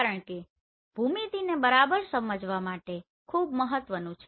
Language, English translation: Gujarati, Because this is very important to understand this geometry right